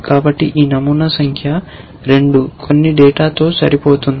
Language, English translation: Telugu, So, this pattern number 2 matches some data